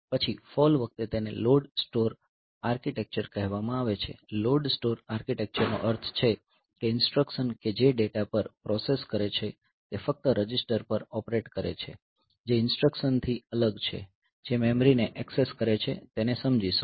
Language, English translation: Gujarati, Then it fall it is something called a load store architecture so, load store architecture means the instructions that process data operate only on registers that separate from instructions that access memory so, will explain this